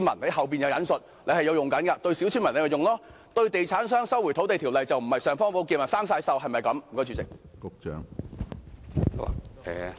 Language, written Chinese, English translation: Cantonese, 政府可以這樣對待小村民，但對地產商，《收回土地條例》是否不是"尚方寶劍"，而是生了鏽？, The Government could treat villagers in this manner but when facing real estate developers is LRO not an imperial sword but rather a rusty sword?